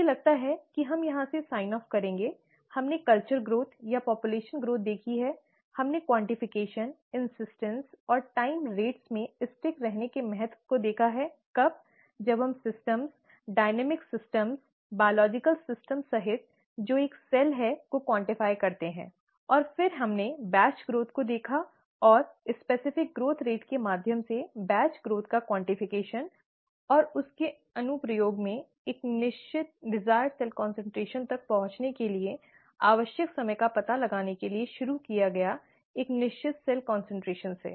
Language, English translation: Hindi, I think that is where we will sign off here, , we have seen culture growth or population growth, we have seen the need for quantification, insistence and the importance of sticking to time rates in trying to, when, when we quantify systems, dynamic systems, including biological systems, that is a cell, and then we looked at batch growth and quantification of batch growth through specific growth rate and in application of that, to find out the time that is required to reach a certain desired cell concentration starting from a certain cell concentration